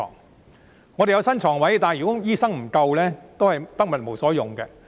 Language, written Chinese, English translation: Cantonese, 不過，即使有新床位，如果醫生不足，也是得物無所用。, However even if new beds are available they will be useless if there are insufficient doctors